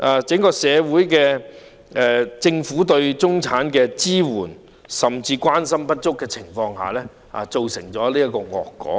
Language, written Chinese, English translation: Cantonese, 政府是在對中產人士的支援和關心不足的情況下，造成了這個惡果。, This is a pernicious consequence brought by the lack of support and care from the Government to the middle class